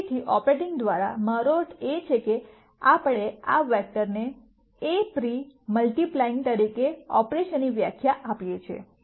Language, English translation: Gujarati, So, by operating, I mean we define an operation as pre multiplying this vector by A